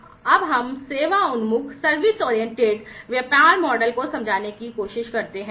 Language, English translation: Hindi, Now, let us try to understand the service oriented business model